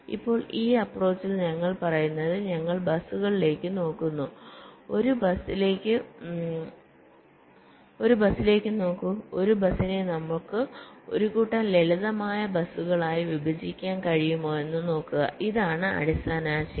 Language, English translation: Malayalam, now, in this approach, what we are saying is that we are looking at the buses, look at a bus and see whether we can split or partition a bus into a set up simpler buses